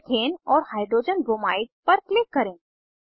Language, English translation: Hindi, Methane and Hydrogen bromide are formed